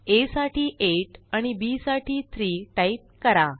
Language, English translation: Marathi, I enter a as 8 and b as 3